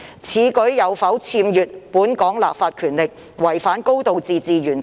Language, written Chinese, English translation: Cantonese, 此舉有否僭越本港立法權力，違反"高度自治"原則？, Is this a usurpation of the legislative powers of Hong Kong violating the high degree of autonomy principle?